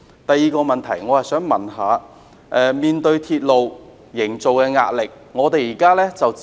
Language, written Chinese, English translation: Cantonese, 第二個問題，我想問問營造鐵路方面的壓力。, My second question concerns the pressure arising from railway construction